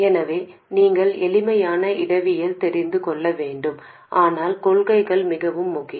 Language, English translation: Tamil, So you need to know the simple topologies but the principles are more important